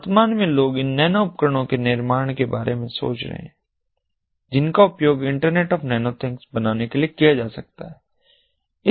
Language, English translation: Hindi, at present, people are thinking about building these nano devices that can be used to form the internet of nano things